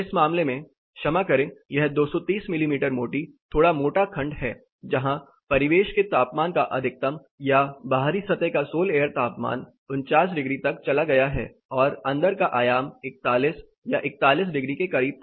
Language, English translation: Hindi, In this case sorry this is a 230 mm thick you know slightly thicker sections, where the ambient temperature maxima are the outside surface temperature sol air temperature went up to 49 degrees, and the inside amplitude was 41 close to 41